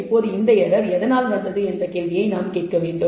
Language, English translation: Tamil, Now we have to ask this question what is this error due to